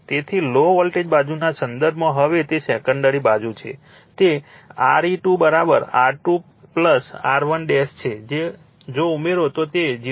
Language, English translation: Gujarati, So, in terms of low voltage side now that is your secondary side, right it is Re 2 is equal to R 2 plus R 1 dash you add it it is 0